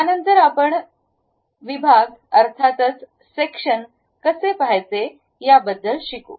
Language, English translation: Marathi, Thereafter we will learn about how to view sections